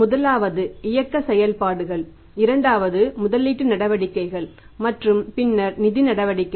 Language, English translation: Tamil, First one is the operating activities, second one are the investing activities and then is the financing activities